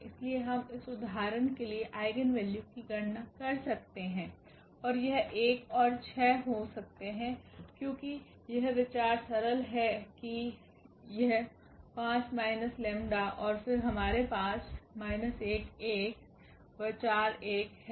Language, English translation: Hindi, So, we can compute the eigenvalues for this example and then it comes to be 1 and 6, because the idea is simple that this 5 minus lambda and then we have 4 and 1 2 minus lambda